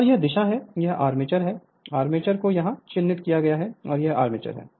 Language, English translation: Hindi, And this is the direction, this is the armature, armature is marked here this is the armature right